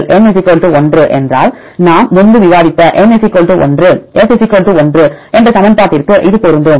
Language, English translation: Tamil, If N = 1 then it will fit to this equation N = 1, F = 1 that we discussed earlier